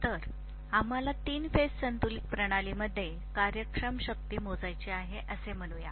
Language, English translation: Marathi, So let us say reactive power we want to measure in a three phase balanced system